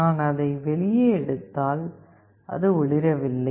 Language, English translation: Tamil, If I take it out, it is not glowing